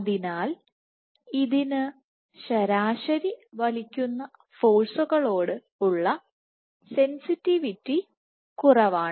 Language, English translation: Malayalam, So, this is on an average less sensitive to pulling forces